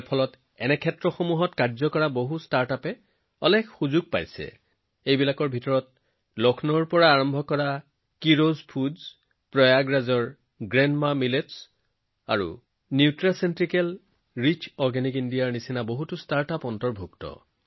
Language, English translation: Assamese, This has given a lot of opportunities to the startups working in this field; these include many startups like 'Keeros Foods' started from Lucknow, 'GrandMaa Millets' of Prayagraj and 'Nutraceutical Rich Organic India'